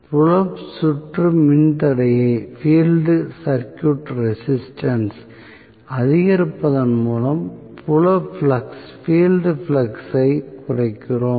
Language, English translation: Tamil, So, increasing by increasing the field circuit resistance we are reducing the field flux